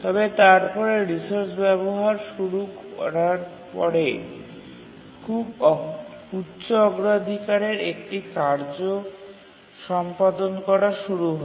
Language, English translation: Bengali, But after it has started using the resource, a very high priority task started executing and it needed the resource